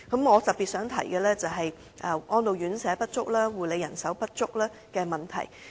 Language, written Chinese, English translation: Cantonese, 我特別想提述的是安老院舍及護理人手不足的問題。, I particularly wish to discuss the shortage of residential care homes for the elderly and carer manpower